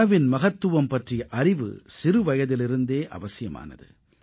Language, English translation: Tamil, The education regarding importance of food is essential right from childhood